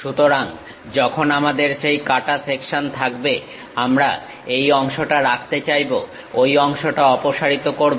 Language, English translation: Bengali, So, when we have that cut section; we would like to retain this part, remove this part